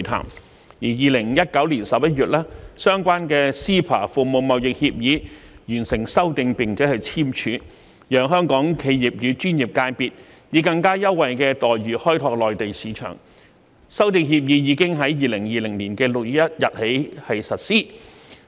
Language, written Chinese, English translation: Cantonese, 及至2019年11月，相關的 CEPA《服務貿易協議》完成修訂並簽署，讓香港企業與專業界別以更優惠待遇開拓內地市場，而經修訂的《服務貿易協議》已於2020年6月1日開始實施。, The Agreement Concerning Amendment to the Agreement on Trade in Services was signed later in November 2019 under the framework of CEPA to give Hong Kong enterprises and professional sectors more preferential treatment to tap into business opportunities in the Mainland market and it came into effect on 1 June 2020